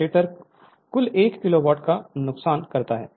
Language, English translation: Hindi, The stator losses total 1 kilowatt